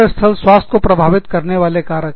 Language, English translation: Hindi, Factors, that affect workplace health